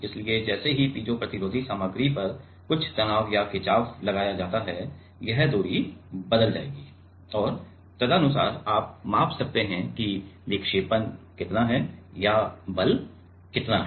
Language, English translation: Hindi, So, as soon as some stress or strain is applied on the piezo resistive material, it will it is distance will change and accordingly we can measure that how much is the deflection or how much is a force